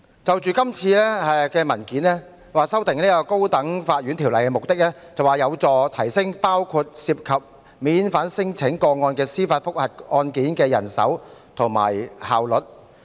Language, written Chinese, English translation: Cantonese, 這次修訂《高等法院條例》的目的，是為了提升包括涉及免遣返聲請的司法覆核案件的人手調配和效率。, The purpose of amending the High Court Ordinance is to enhance the manpower deployment and efficiency in handling judicial review cases involving non - refoulement claims and so on